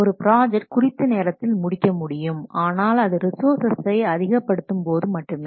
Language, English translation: Tamil, A project could be on time but only because additional resources have been added